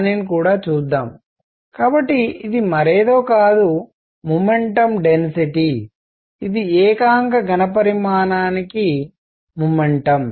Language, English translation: Telugu, Let us see that; so, this is nothing, but momentum density that is momentum per unit volume per unit volume